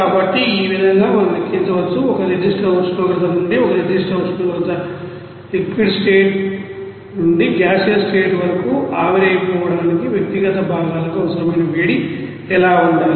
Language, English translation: Telugu, So, in this way we can calculate, you know that what should be the you know heat required for individual components for vaporizing it from a certain temperature to a certain temperature from liquid state to the gaseous state